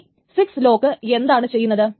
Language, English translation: Malayalam, So what exactly is the six lock